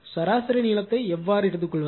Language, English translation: Tamil, And how to take the mean length how to take